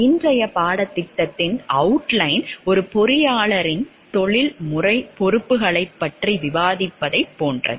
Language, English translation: Tamil, The outline of the course today is like we will discuss about the professional responsibilities of an engineer